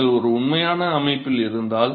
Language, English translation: Tamil, So, supposing if you have in a real system